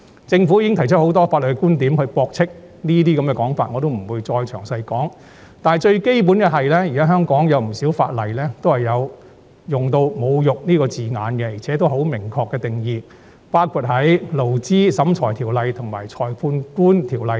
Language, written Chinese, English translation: Cantonese, 政府已提出很多法律觀點駁斥這類說法，我不再詳述，但最基本的是，現時香港有不少法例也有用上"侮辱"一詞，而且亦有明確定義，包括在《勞資審裁處條例》及《裁判官條例》等。, The Government has refuted them from a legal point of view many times . I will not go into details here but the gist is that the term insulting is used in many pieces of legislation in Hong Kong including the Labour Tribunal Ordinance and the Magistrates Ordinance under which it has a clear definition